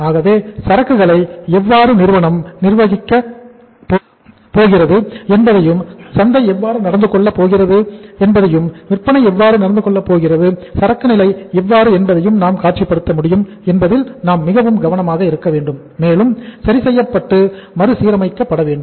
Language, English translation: Tamil, So we have to be very careful that we should be able to visualize how the inventory is going to be managed by the firm and how the market is going to behave, how the sales are going to take place in the market and how the inventory level should be adjusted and readjusted